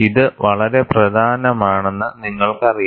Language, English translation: Malayalam, You know, this is also very important